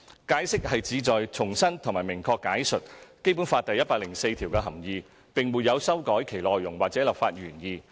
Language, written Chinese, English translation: Cantonese, 《解釋》旨在重申及明確解述《基本法》第一百零四條的含意，並沒有修改其內容或立法原意。, The Interpretation aims to reiterate and explain clearly the meaning of Article 104 of the Basic Law . No change has been made to the content or the legislative intent of the Article